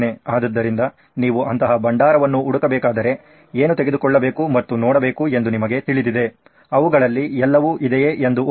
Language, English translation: Kannada, So if you are to look for such a repository, you know what to take and see, compare whether they have all that